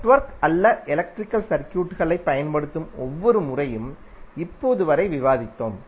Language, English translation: Tamil, Till now we have discussed like every time we use electrical circuit not the network